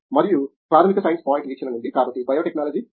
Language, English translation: Telugu, And from basic science point view, so biotechnology evolved in M